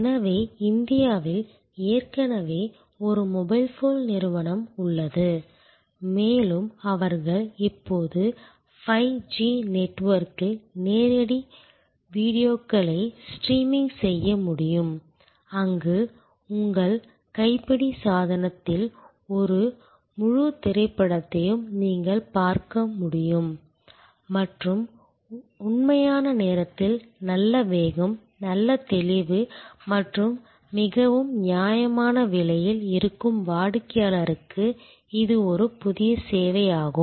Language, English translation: Tamil, So, there is a already mobile phone company in India and they can now bring live videos streaming on 5G network, where you can see a full movie quite comfortable on your handle device and real time good speed, good clarity and at a very reasonable price; that is a new service to existing customer